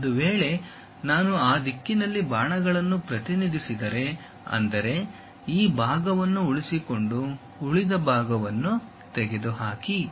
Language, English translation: Kannada, If that is the case, if I represent arrows in that direction; that means, retain that, remove this part